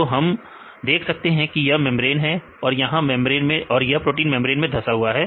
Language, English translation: Hindi, So, we can see this is the membrane part right, this is embedded into membranes